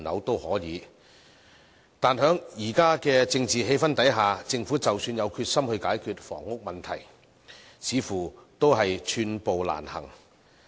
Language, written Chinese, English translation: Cantonese, 但是，在現時的政治氣氛下，政府即使有決心解決房屋問題，似乎也是寸步難行。, However in the current political atmosphere even if the Government has the determination to resolve the housing problem it seems that it can hardly make any advancement